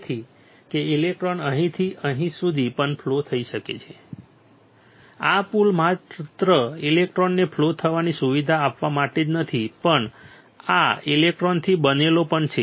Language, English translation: Gujarati, So, that the electron can flow from here to here also this bridge is not only for just facilitating the electron to flow, but this also made up of electrons